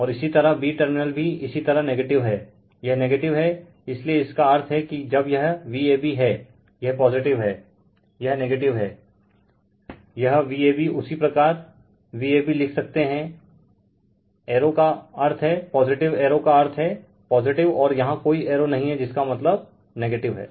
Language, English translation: Hindi, And your b terminal is your negative right, it is negative, so that means when it is V a b this is positive, this is negative, it is V a b you can write V a b, arrow means positive arrow means positive, and here no arrow means negative